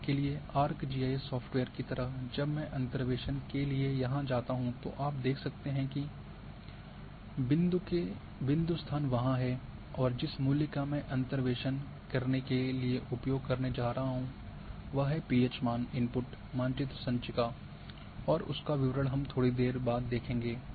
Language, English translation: Hindi, And example is here like in RGIS software when I go for interpolation here you can see that the point locations are there and the value which I am going to use to do the interpolation is the pH value the input map is file and a these details we will see little later